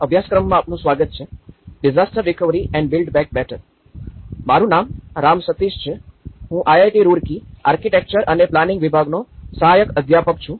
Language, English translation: Gujarati, Welcome to the course; disaster recovery and build back better, my name is Ram Sateesh, I am Assistant Professor in Department of Architecture and Planning, IIT Roorkee